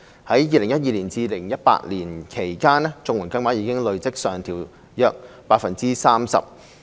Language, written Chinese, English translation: Cantonese, 在2012年至2018年間，綜援金額已累積上調約 30%。, Between 2012 and 2018 the accumulative upward adjustment of CSSA payment rates amounted to around 30 %